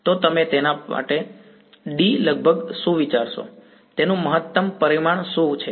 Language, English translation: Gujarati, So, what would you think D is roughly for that, what is the maximum dimension of that